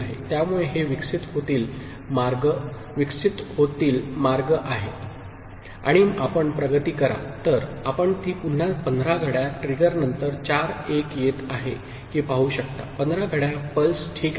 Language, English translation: Marathi, So, this is the way it will evolve and if you progress, you can see that it is coming to four 1s again after 15 clock trigger, after 15 clock pulses, ok